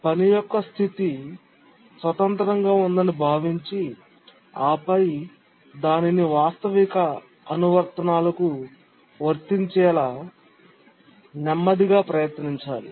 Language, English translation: Telugu, We considered the task set is independent and then slowly we were trying to make it applicable to realistic applications